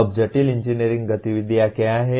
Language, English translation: Hindi, Now what are complex engineering activities